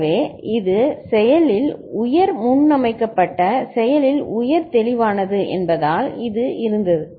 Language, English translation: Tamil, So, it was this because it is active high preset, active high clear